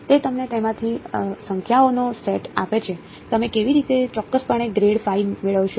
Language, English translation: Gujarati, It is gave you bunch of numbers from that, how will you accurately get grad phi